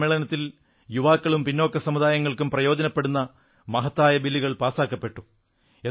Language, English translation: Malayalam, A number of importantbills beneficial to the youth and the backward classes were passed during this session